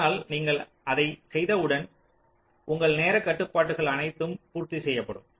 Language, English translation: Tamil, so once you the do that, then all your timing constrains will be met